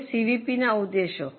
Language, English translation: Gujarati, Now the objectives of CVP